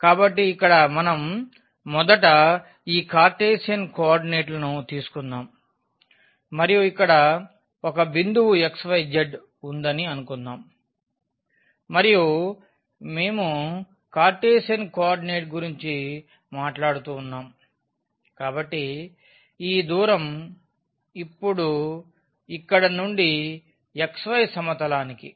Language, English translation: Telugu, So, here what we have first let us take these Cartesian coordinates and suppose there is a point here x y z and when we are talking about the Cartesian coordinate; so, this distance now from here to the xy plane